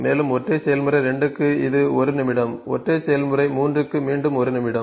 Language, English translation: Tamil, And for single process 2 ,it is 1 minute ,if single process 3 again it is 1 minute